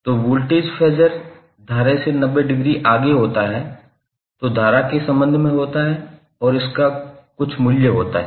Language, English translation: Hindi, So the voltage Phasor would be 90 degree leading with respect to current and it has some value